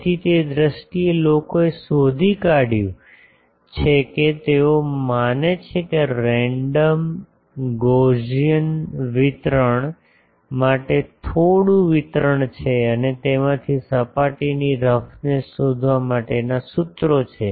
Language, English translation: Gujarati, So, in terms of that people have found that is some distribution for a random Gaussian distribution they assume and from that there are formulas for finding the surface roughness